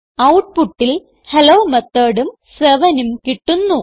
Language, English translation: Malayalam, We see the output Hello Method and 7